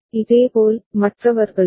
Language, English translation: Tamil, Similarly, for the others